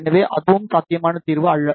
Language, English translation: Tamil, So, that is also not a feasible solution